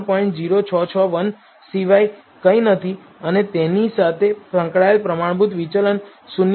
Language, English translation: Gujarati, 0661 and the standard deviation associated with it was 0